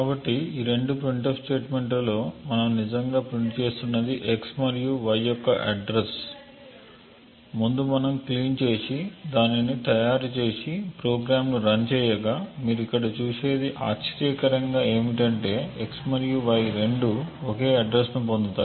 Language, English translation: Telugu, So what we are actually printing in these two printf statements is the address of x and y, as before we will make clean and make it and run the program and what you see over here surprisingly is that both x and y get the same address